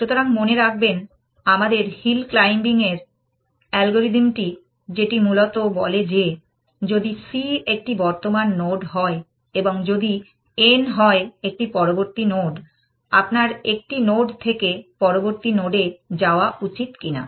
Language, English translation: Bengali, So, remember our algorithm for hill climbing and it basically says that, if c is a current node and if n is a next node, whether you should move from a node to a next node